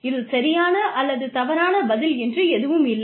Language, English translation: Tamil, There is no right or wrong answer